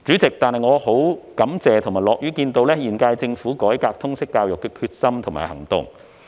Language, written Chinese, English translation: Cantonese, 然而，我感謝並樂見現屆政府改革通識教育的決心和行動。, Nonetheless I am grateful and delighted to see the determination and efforts of the current - term Government to reform LS